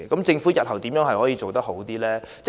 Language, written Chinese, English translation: Cantonese, 政府日後怎樣可以做得更好？, How can the Government improve this arrangement in future?